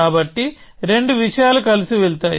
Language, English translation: Telugu, So, both the things go together